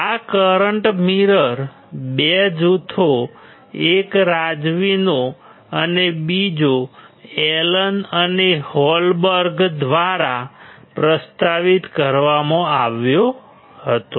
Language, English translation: Gujarati, This current mirror were proposed by 2 groups one is from Razavi and another from Allen and Holberg